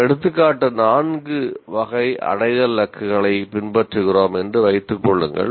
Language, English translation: Tamil, Now, assuming that we are following that example 4 type of attainment targets, there is another issue